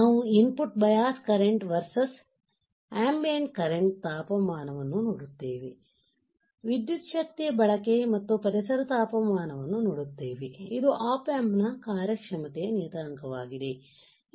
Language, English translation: Kannada, We see input bias current versus ambient current temperature, we see power consumption versus ambient temperature, this is a performance parameter are of the op amp alright